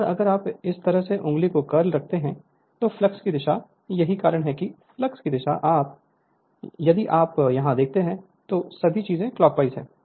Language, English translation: Hindi, And if you curl the finger like this will be the direction of the flux that is why flux direction if you see here all this things are clockwise all this things are clockwise